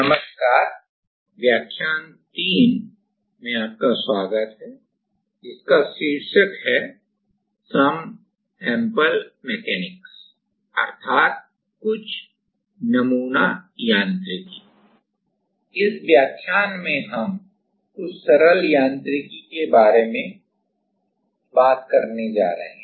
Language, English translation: Hindi, Hello, in this lecture we are going to talk about Some Simple Mechanics